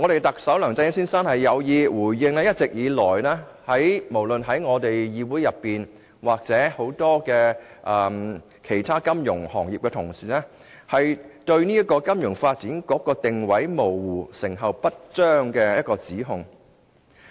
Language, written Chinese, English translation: Cantonese, 特首梁振英先生似乎刻意以此回應議會，以至眾多其他金融業從業員一直以來就金發局定位模糊、成效不彰所提出的指控。, It seems that Chief Executive Mr LEUNG Chun - ying has purposefully done so in order to answer the allegations of this Council and people in the financial industry concerning the ambiguous role and ineffectiveness of FSDC